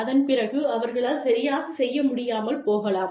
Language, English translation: Tamil, And then, they are not able to perform